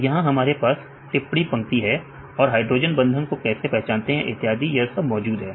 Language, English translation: Hindi, So, here we have the comment lines right, how they identify the hydrogen bonds right and so on right